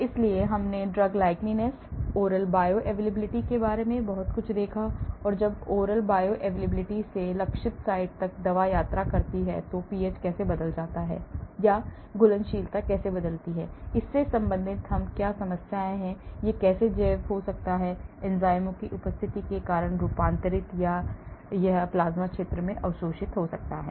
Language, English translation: Hindi, so we looked at quite a lot about the drug likeness, the oral bioavailability and what are the issues related when the drug travels from the oral cavity right up to the target site, how the pH changes or the solubility changes, how it may get bio transformed because of presence of enzymes or it may be getting absorbed in plasma region